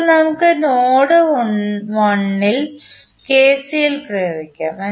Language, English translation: Malayalam, Now, let us apply the KCL at node 1